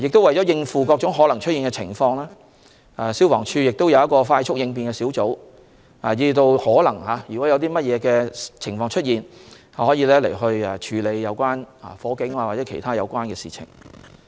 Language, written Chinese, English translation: Cantonese, 為應付各種可能出現的情況，消防處會有一個快速應變小組，若有任何情況出現，他們能處理火警或其他有關事情。, To cope with all possible situations rapid response teams of the Fire Services Department will handle fire incidents or other related matters